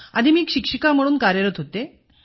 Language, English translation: Marathi, Earlier, I was a teacher